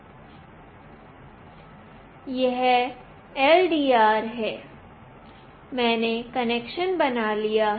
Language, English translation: Hindi, This is the LDR; I have made the connection